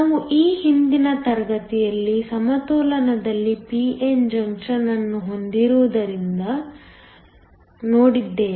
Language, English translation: Kannada, We looked at this last class, when you have a p n junction in equilibrium